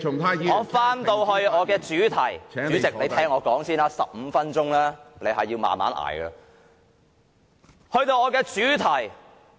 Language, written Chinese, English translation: Cantonese, 我回到我的主題上，主席，你先聽我說，這15分鐘你必須忍耐忍耐。, Let me return to my main point . President please listen to me first . You must be patient with me in these 15 minutes of my speaking time